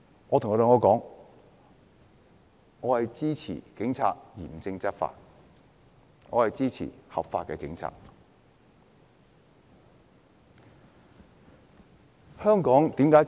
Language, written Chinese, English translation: Cantonese, 我跟他們說：我支持警察嚴正執法，我支持警察依法執法。, I told them that I supported the Police in enforcing the law stringently and in accordance with the law